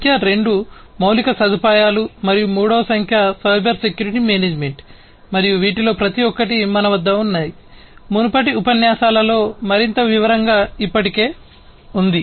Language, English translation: Telugu, Number 2 is infrastructure and number three is cyber security management and each of these we have already gone through, in much more detail in the previous lectures